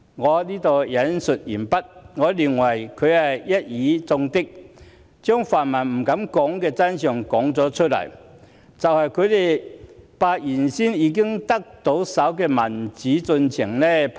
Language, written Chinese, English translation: Cantonese, 我認為他一語中的，把泛民不敢說的真相說了出來，就是他們把已經到手的民主進程拋棄了。, I think he has hit the mark revealing the truth which the pan - democrats dare not say it out ie . they had discarded the progress in democracy which was already in their hands